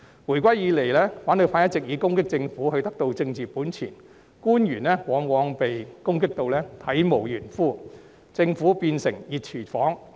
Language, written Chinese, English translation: Cantonese, 回歸以來，反對派一直以攻擊政府獲取政治本錢，官員往往被攻擊得體無完膚，政府變成"熱廚房"。, Since the handover of sovereignty the opposition camp has been gaining political capital by attacking the Government . The officials are often scathingly criticized and the Government has turned into a hot kitchen